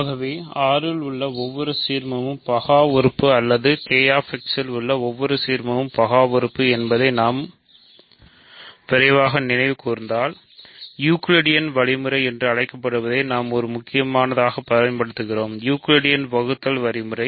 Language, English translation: Tamil, So, if we quickly recall how did we prove that every ideal in Z is principal or that every ideal in K x is principal we used essentially what is called Euclidean algorithm right; Euclidean division algorithm